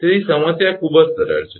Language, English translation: Gujarati, So, problem is very simple right